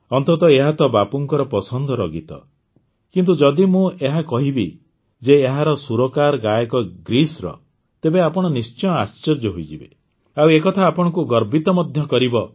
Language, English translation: Odia, After all, this is Bapu'sfavorite song, but if I tell you that the singers who have sung it are from Greece, you will definitely be surprised